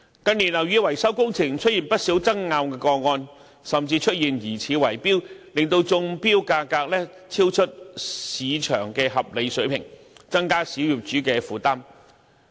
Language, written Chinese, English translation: Cantonese, 近年樓宇維修工程出現不少爭拗個案，甚至出現疑似圍標，令中標價超出市場的合理水平，增加小業主的負擔。, In recent years building maintenance works have given rise to many disputes and even bid - rigging causing the tender prices to rise beyond the reasonable range and thus adding to the burden of small property owners